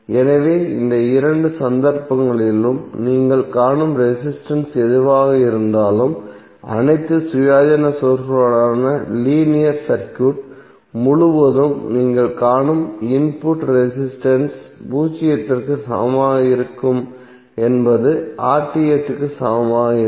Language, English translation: Tamil, So in that case whatever the resistance you will see in both of the cases the input resistance which you will see across the linear circuit with all independent sources are equal to zero would be equal to RTh